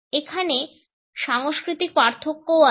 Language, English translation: Bengali, There are cultural differences also